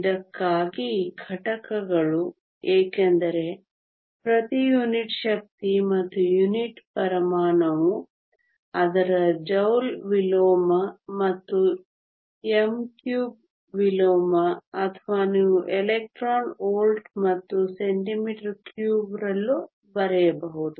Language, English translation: Kannada, The units for this, since it is per unit energy and unit volume its either joule inverse and meter cube inverse or you can also write in terms of electron volts and centimetre cube